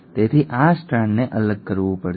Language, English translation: Gujarati, So this strand has to segregate